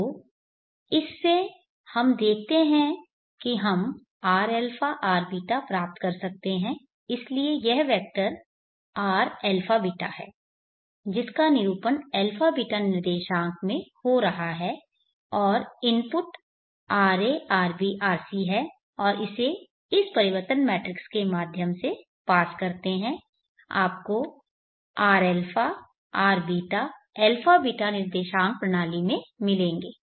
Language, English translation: Hindi, So this is our transformation so from this we see that we can get our abeeta so this is the vector R alpha beta which is representing the alpha beta coordinates and the inputs are RA RB RC and pass it through this transformation matrix you will get R a R beeta in the abeeta coordinate system so this is ABC 2 abeeta transformation